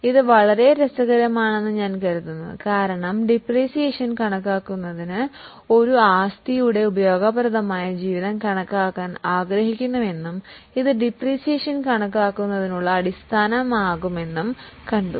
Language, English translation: Malayalam, I think this is very interesting because for calculation of depreciation we have seen we want to estimate useful life of a particular asset and that will be the basis for calculation of depreciation